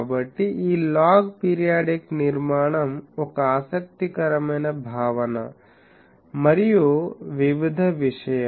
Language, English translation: Telugu, So, this log periodic structure is was an interesting concept and various thing